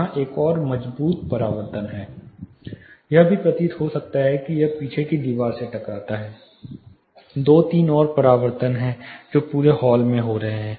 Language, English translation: Hindi, It may also appear that you know it strikes the rear wall, there are two three more reflections which are happening across the hall